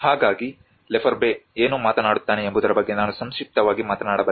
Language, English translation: Kannada, So that is where I can just briefly talk about what Lefebvre talks about